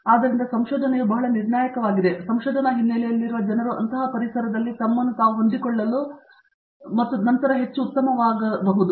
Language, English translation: Kannada, So, that is where research is very crucial and people with research background are able to fit themselves into such an environment and then grow much better